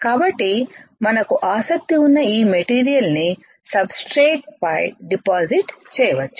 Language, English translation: Telugu, So, that we can deposit this material of our interest onto the substrate